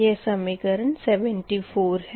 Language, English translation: Hindi, this is equation seventy four